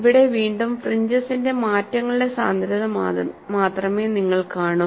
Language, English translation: Malayalam, Here again, you will see only the density of the fringes change